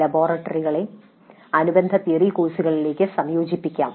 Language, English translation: Malayalam, The laboratories may be integrated into corresponding theory courses